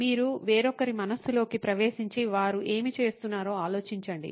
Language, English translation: Telugu, You get into somebody else’s psyche and think about what is it that they are going through